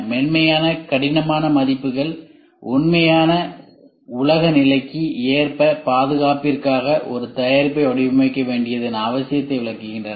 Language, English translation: Tamil, Soft hard reviews addresses the need to design a product for safety that is in term of the real world condition